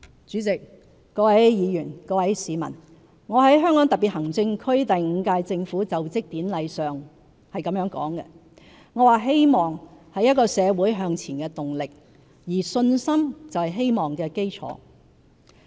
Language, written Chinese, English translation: Cantonese, 主席、各位議員、各位市民，我在香港特別行政區第五屆政府就職典禮上說："希望是一個社會向前的動力，而信心就是希望的基礎。, President Honourable Members and fellow citizens at the Inaugural Ceremony of the Fifth - term Government of HKSAR I said that hope propels a society forward and confidence is the foundation of hope